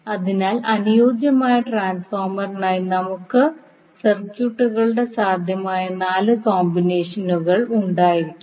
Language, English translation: Malayalam, So we can have four possible combinations of circuits for the ideal transformer